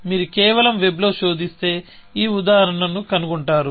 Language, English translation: Telugu, If you just search on web, you will find this example